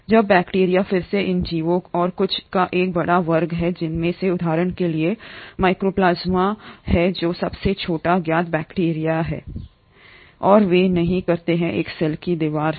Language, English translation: Hindi, Now bacteria again is a huge class of these organisms and some of them are for example Mycoplasmas which are the smallest known bacteria and they do not have a cell wall